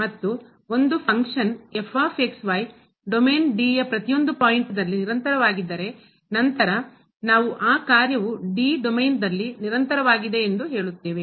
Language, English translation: Kannada, And if a function is continuous at every point in the domain D, then we call that function is continuous in that domain D